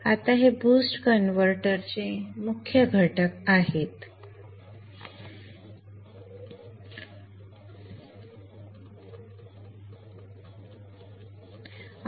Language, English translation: Marathi, Now these are the main constituent components of the boost converter